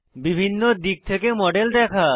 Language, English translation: Bengali, View the model from various angles